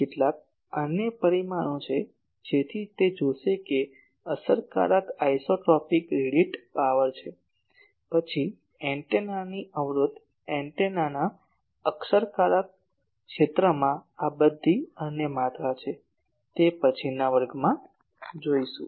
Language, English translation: Gujarati, So, that will see like there is an effective isotropic radiated power , then the impedance of the antenna , these are all other quantities in effective area of antenna , those will see in the next class ok